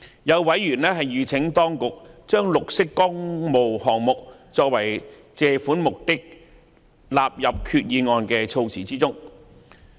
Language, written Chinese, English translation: Cantonese, 有委員籲請當局把"綠色工務項目"作為借款目的納入決議案的措辭中。, Some members call for the inclusion of green public works projects as purposes of borrowings in the wording of the Resolution by the Administration